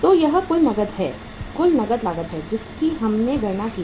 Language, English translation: Hindi, So this is the total cash cost we have calculated